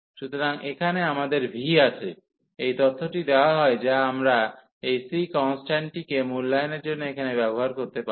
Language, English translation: Bengali, So, here we have phi 0 is 0, this information is given which we can use here to evaluate this constant c